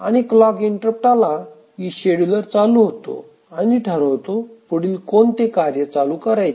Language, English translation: Marathi, And also whenever a task completes, the scheduler becomes active and then decides which task to schedule